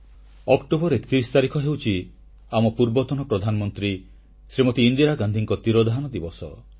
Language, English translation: Odia, The 31st of October also is the death anniversary of our former Prime Minister Indira Gandhi